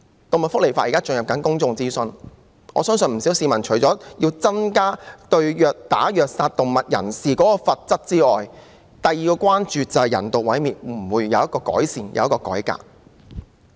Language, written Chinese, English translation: Cantonese, 動物福利法正進行公眾諮詢，我相信不少市民除了要求增加對虐打及虐殺動物者的罰則外，另一關注事項便是人道毀滅的問題會否有改善和改革。, The law on animal welfare is now undergoing public consultation and I believe many members of the public apart from requesting an increase in the penalties for ill - treating animals and brutally torturing animals to death are also concerned about whether or not there will be any improvement or reform in the issue of euthanasia